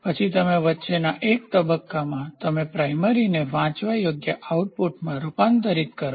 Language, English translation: Gujarati, So, then in between you try to have a stage where in which you convert the primary into a readable output